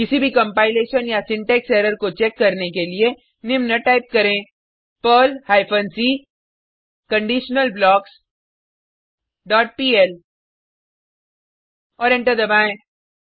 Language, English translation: Hindi, Type the following to check for any compilation or syntax error perl hyphen c conditionalBlocks dot pl and press Enter